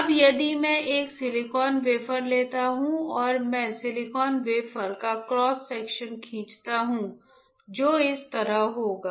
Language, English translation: Hindi, Now, if you know if I take a silicon wafer, if I take a silicon wafer right and I draw cross section of silicon wafer which will be like this correct